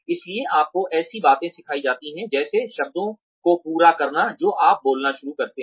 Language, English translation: Hindi, So, you are taught things like, completing the words, that you begin speaking